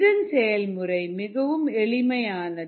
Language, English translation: Tamil, the process is very simple